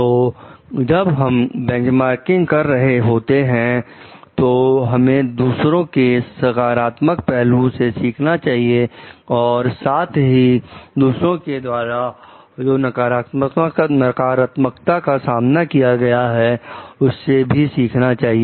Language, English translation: Hindi, So, when you are doing a benchmarking, we are trying to learn from the positives of others and also, negatives faced by others